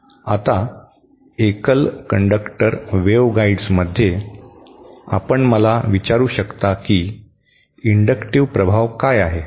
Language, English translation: Marathi, Now, in single conductor waveguides, you might ask me what is an inductive effect